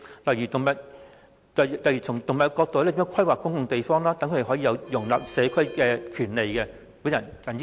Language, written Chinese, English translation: Cantonese, 例如從動物角度規劃公共地方，讓牠們可以融入社區......, For example to set aside public spaces from the perspective of animals so that they can integrate into the community I so submit